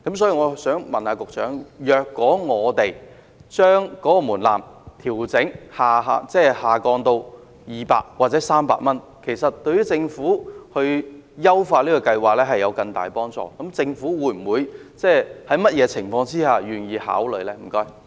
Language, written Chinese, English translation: Cantonese, 請問局長，既然把門檻下調至200元或300元對政府優化計劃有更大幫助，政府在甚麼情況下才願意予以考慮呢？, Since lowering the threshold to 200 or 300 would be more helpful to the Government in enhancing the Scheme may I ask the Secretary under what circumstances the Government will consider the idea?